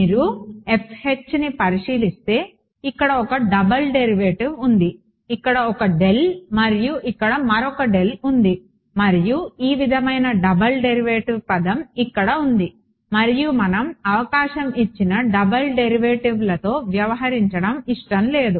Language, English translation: Telugu, There is a double derivative right you can see F H over here there is a del and there is another del over here del cross del this sort of a double derivative term over here and we do not want to deal with double derivatives given the chance